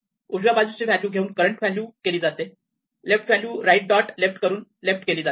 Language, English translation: Marathi, It takes the right value and makes it the current value the left value right dot left and makes with the left